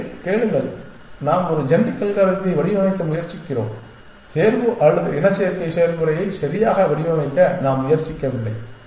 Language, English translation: Tamil, No no listen we are trying to design a genetic algorithm; we are not trying to design the selection or the mating process right